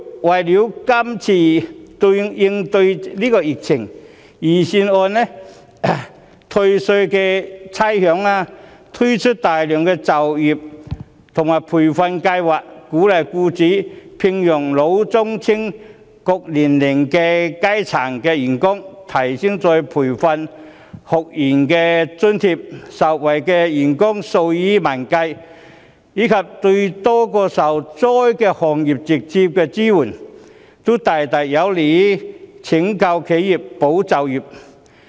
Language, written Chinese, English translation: Cantonese, 為了應對今次疫情，預算案有退稅和免差餉安排，並推出大量就業和培訓計劃，鼓勵僱主聘用老、中、青等各年齡層的員工，提升再培訓學員津貼，受惠員工數以萬計，對多個受災行業給予直接支援，這些都大大有利於拯救企業和保就業。, In order to cope with this epidemic the Budget has made arrangements on tax refund and rates waiver rolled out a number of employment and training programmes to encourage employers to hire staff of various ages and increased the allowance for retrainees benefiting tens of thousands of employees . In addition direct support is rendered to a number of affected industries . All these measures are greatly conducive to saving enterprises and safeguarding jobs